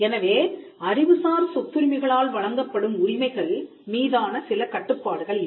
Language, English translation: Tamil, Now, there are certain limits that are posed by intellectual property rights